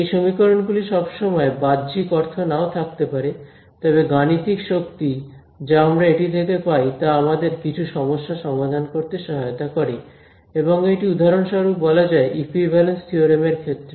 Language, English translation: Bengali, Those equations may not always have a physical meaning, but the mathematical power that we get from it helps us to solve some problems and that will be covered in for example, in the equivalence theorems right